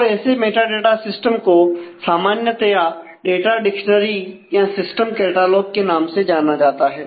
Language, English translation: Hindi, And such a metadata system is usually known as the name of data dictionary or system catalogues